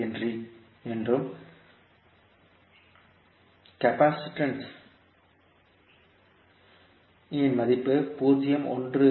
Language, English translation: Tamil, 5 henry and value of capacitance C as 0